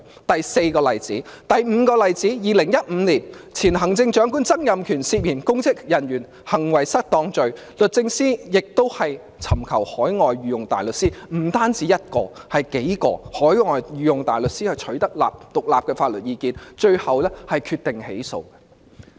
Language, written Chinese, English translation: Cantonese, 第五個例子發生在2015年，前行政長官曾蔭權涉嫌干犯公職人員行為失當罪，律政司亦委託不只1位而是數位海外御用大律師，取得獨立法律意見，最後決定起訴。, The fifth example took place in 2015 . The former Chief Executive Mr Donald TSANG allegedly committed the offence of misconduct in public office and DoJ also engaged the services of not just one but several overseas Queens Counsel for independent legal advice . DoJ finally decided to bring prosecution against Mr TSANG